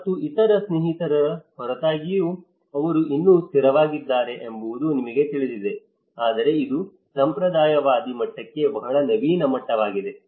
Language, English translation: Kannada, And despite of other friends still he is being stable you know but this is how the very innovative level to a conservative level